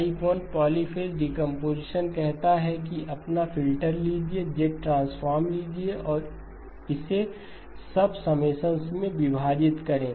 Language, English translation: Hindi, Type 1 polyphase decomposition says take your filter, Z transform and split it into sub summations